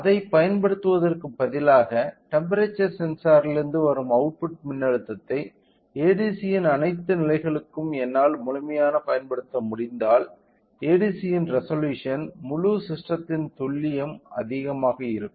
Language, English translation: Tamil, So, rather than using that if I can able to utilise the complete output voltage from the temperature sensor to the all the levels of ADC, then the resolution of the ADC are the accuracy of the complete system will be higher